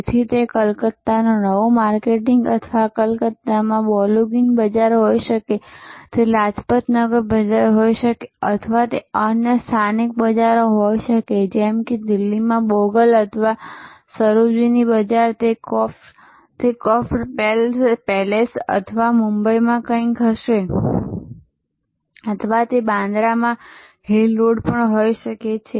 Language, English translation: Gujarati, So, it may be new marketing Calcutta or Balogun market in Calcutta it can be Lajpat Nagar market or different other local markets like Bogal in Delhi or Sarojini market it will be the Crawford palace or something in Mumbai or it could be the Bandra hill road in Mumbai